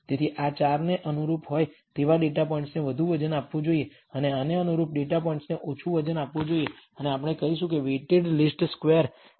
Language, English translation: Gujarati, So, data points which are corresponding to these 4 should be given more weight and data points corresponding to this should be given less weight and we call that a weighted least squares